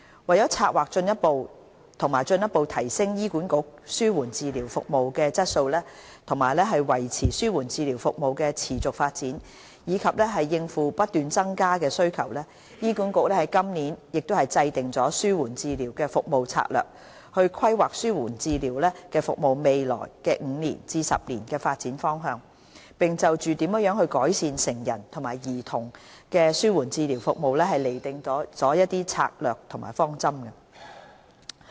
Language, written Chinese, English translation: Cantonese, 為策劃和進一步提升醫管局紓緩治療服務的質素，維持紓緩治療服務的持續發展，以及應付不斷增加的需求，醫管局在今年制訂了《紓緩治療服務策略》，規劃紓緩治療服務在未來5至10年的發展方向，並就如何改善成人和兒童的紓緩治療服務釐定了策略方針。, In order to plan and further enhance the quality and sustainability of its palliative care service as well as to cope with the increasing demand HA developed the Strategic Service Framework for Palliative Care this year so as to guide the development of palliative care service for the coming five to 10 years . Strategies and directions for improving adult and paediatric palliative care were also formulated